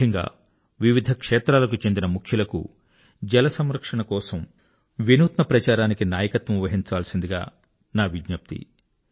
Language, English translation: Telugu, I specifically urge the luminaries belonging to different walks of life to lead promotion of water conservation through innovative campaigns